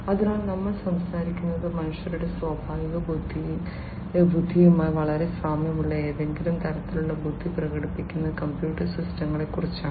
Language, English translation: Malayalam, So, we are talking about computer systems exhibiting some form of intelligence which is very similar to the natural intelligence of human beings, right